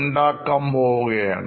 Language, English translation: Malayalam, I'm going to be